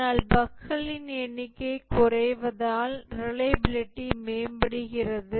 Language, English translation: Tamil, But as the number of bugs reduces the reliability improves